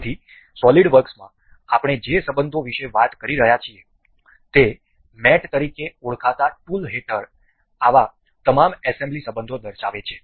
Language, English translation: Gujarati, So, the relations that we are talking about the SolidWorks features all such assembly relations under a tool called mate